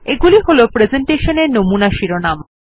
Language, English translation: Bengali, They are sample headings for the presentation